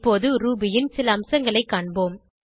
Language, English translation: Tamil, Now let us see some features of Ruby